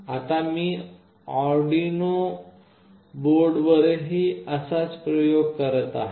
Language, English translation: Marathi, Now I will be doing the same experiment with Arduino board